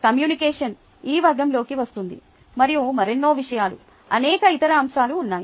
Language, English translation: Telugu, communication falls under this category, right, and there are many other thing, many other aspects